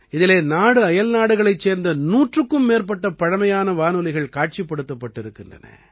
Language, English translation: Tamil, More than a 100 antique radios from India and abroad are displayed here